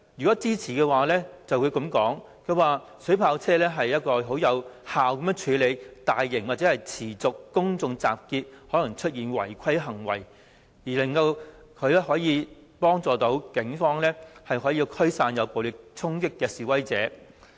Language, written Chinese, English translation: Cantonese, 支持者會說，水炮車能有效控制大型或持續公眾集結而可能導致的違規行為，幫助警方驅散作出暴力衝擊的示威者。, Those who support the proposal opine that water cannon vehicles are capable of effectively controlling illegal acts that may emerge during large - scale and prolonged public assemblies and assisting the Police in dispersing protesters who launch violent attacks